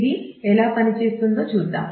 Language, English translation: Telugu, So, let us see what how it works